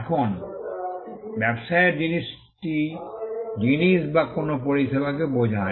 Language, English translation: Bengali, Now, the thing here in business refers to goods or a service